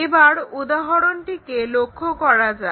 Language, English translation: Bengali, So, let us look at that example